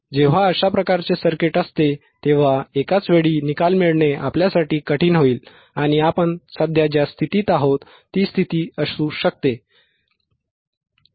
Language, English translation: Marathi, When this kind of circuit is there, it will be difficult for us to get the result in one go and it may be the condition which we are infinding right now which we are in right now right